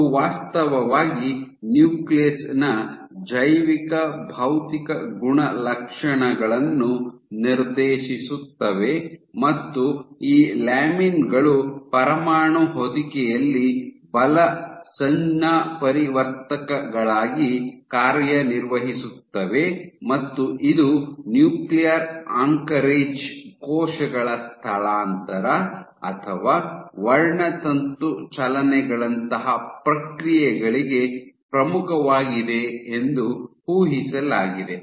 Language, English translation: Kannada, So, they actually dictate the biophysical properties of the nucleus, ok of the nucleus, and it is envisioned that these lamins are envisioned, to act as force transducers in the nuclear envelope and this is key to processes like, nuclear anchorage cell migration or chromosome movements